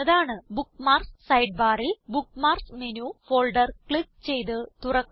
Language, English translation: Malayalam, From the Bookmarks Sidebar, click on and open the Bookmarks Menu folder